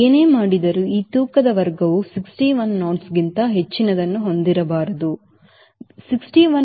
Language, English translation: Kannada, whatever you do, if we this is this weight class it cannot have more than sixty one knots v stall, the movement